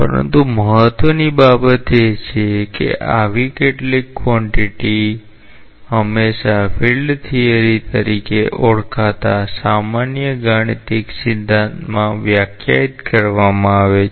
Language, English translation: Gujarati, But important thing is that such quantities are always defined in a general mathematical theory known as field theory